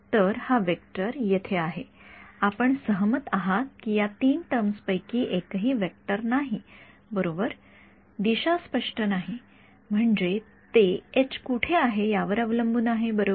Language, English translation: Marathi, So, this vector over here, will you agree that these each of these 3 terms is a vector right direction is not clear I mean it depends on where H is right